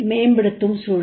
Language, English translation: Tamil, What sort of environment